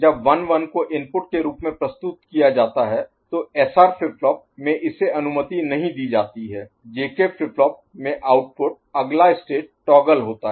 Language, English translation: Hindi, So, when 1 1 is presented as input, in SR flip flop it is not allowed, in J K flip flop the output the next state toggles